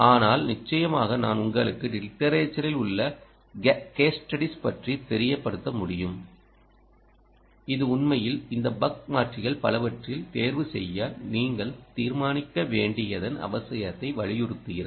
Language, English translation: Tamil, i can expose you to ah, those in literature, stu case studies in literature, which actually emphasize the need for you to decide to choose between ah, several of these buck converter